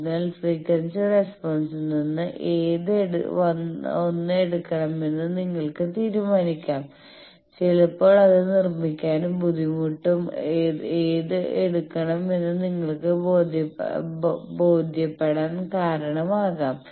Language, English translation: Malayalam, So, from frequency response you can decide which 1 you will take also sometimes construction difficulty etcetera can tell you